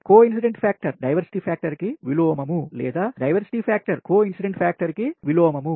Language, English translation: Telugu, right does the a coincidence factor is the reciprocal of the diversity factor, or diversity factor is the reciprocal of the coincidence factor